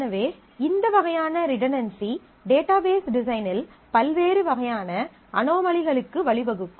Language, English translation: Tamil, So, this kind of redundancy can lead to different kinds of anomalies in a database design